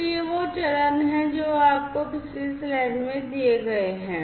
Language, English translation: Hindi, So, these are the steps that you will have to follow as given in the previous slide